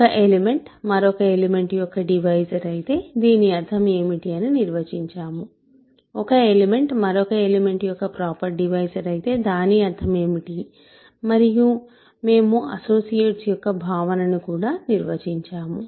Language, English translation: Telugu, So, now, we have defined what it means for an element to be a divisor of another element, what it means for an element to be a proper divisor of another element and we also defined the notion of associates